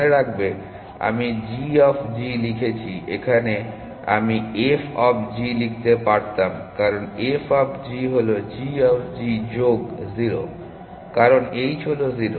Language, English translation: Bengali, Remember I have written g of g i could have written f of g is a same thing, because f of g is equal to g of g plus 0, because h is 0